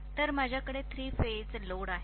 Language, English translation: Marathi, So I am having a three phase load